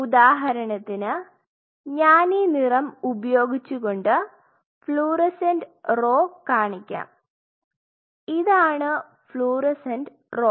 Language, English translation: Malayalam, Say for example, I showed the fluorescent row with this color this is the fluorescent row out here this is the fluorescent row